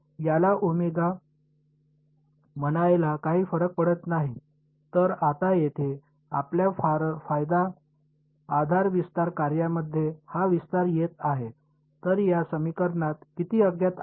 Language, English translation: Marathi, So, now, your phi over here is coming from this expansion in the basis function so, how many unknowns in this equation